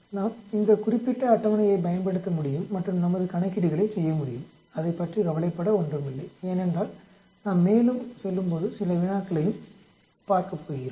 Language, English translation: Tamil, We can use this particular table and do our calculations, nothing to worry about it because we are going to look at some problems also as we move along